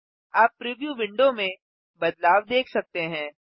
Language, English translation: Hindi, You can see the change in the preview window